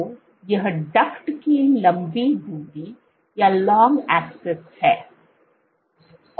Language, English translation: Hindi, So, this is the long axis of the duct